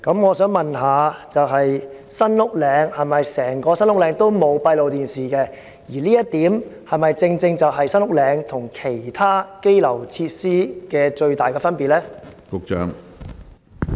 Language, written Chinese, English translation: Cantonese, 我想問，是否整個新屋嶺拘留中心都沒有安裝閉路電視系統，而這是否正是該中心與其他羈留設施的最大分別呢？, I would like to ask Is it true that there is no closed - circuit television system in SULHC? . Is it the major difference between SULHC and other detention facilities?